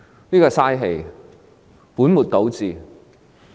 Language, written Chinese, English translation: Cantonese, 這是浪費氣力、本末倒置的。, This is a waste of energy and putting the cart before the horse